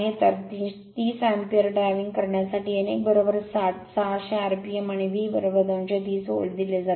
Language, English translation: Marathi, So, driving 30 ampere, n 1 is given 60, 600 rpm and V is equal to 230 volt